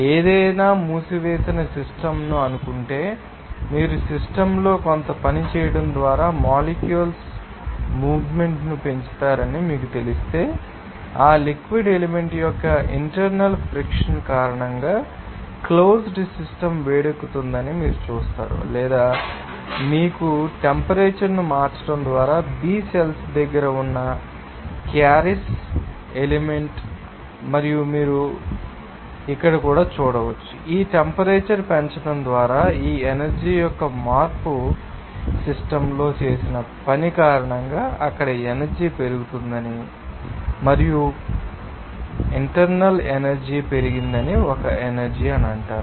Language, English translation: Telugu, If suppose any closed system if you know that increase the movement of the molecules just by you know doing some work on the system, you will see that the closed system will be heated up because of that internal friction of that fluid element or you know the carious element in the close to B cell just by changing the temperature, and also you can say that, this change of this energy by raising this temperature because of that work done on the system, you will see there will be increasing energy and that increasing an energy will be called as internal energy increased